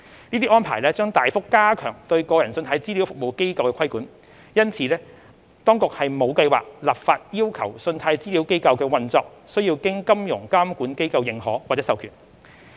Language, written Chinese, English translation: Cantonese, 這些安排將大幅加強對個人信貸資料服務機構的規管，因此，當局沒有計劃立法要求信貸資料機構的運作須經金融監管機構認可或授權。, As these arrangements will significantly enhance the regulation of consumer CRAs the Administration has no plan to introduce legislation to require CRAs to seek endorsement or authorization from financial regulators for their operations